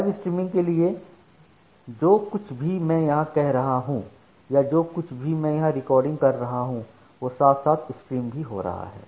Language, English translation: Hindi, So, for the live streaming what happens whatever I am doing here or whatever I am say recording here that is getting streamed immediately